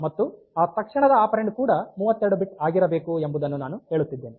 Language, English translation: Kannada, But if this second operand is an immediate operand then the immediate operand must be 32 bit value